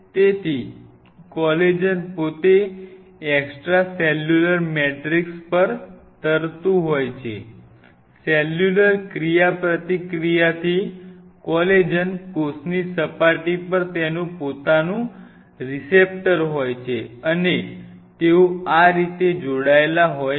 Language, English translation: Gujarati, So, the collagen itself is an extracellular matrix floating, the cellular interaction collagen has its own receptor on the cell surface and they bind like this